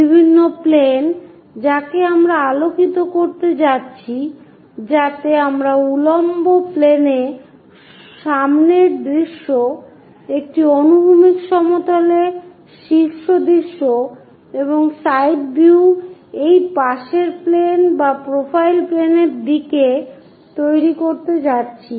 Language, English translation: Bengali, The different planes are what we are going to shine a light, so that we are going to construct such kind of front views on to the vertical planes, top views on to a horizontal plane, and side views on to this side planes or profile planes